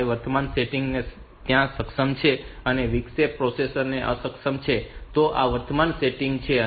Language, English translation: Gujarati, 5 there are enable and interrupt processor is disabled so this is the current setting